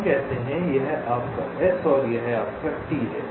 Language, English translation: Hindi, lets say this is your s and this is your t